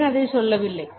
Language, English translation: Tamil, Did not say that